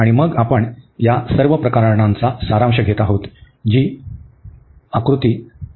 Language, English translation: Marathi, So, and then we are summing all these cases, so all these rectangles